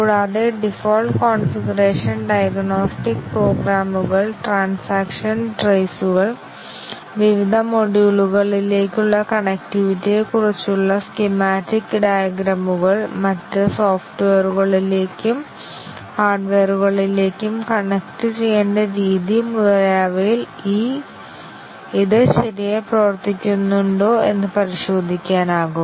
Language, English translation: Malayalam, And, it can be checked whether it works properly in the default configuration, diagnostic programmes, and traces of transactions, schematic diagrams about the connectivity to different modules, the way it needs to be connected to other software and hardware and so on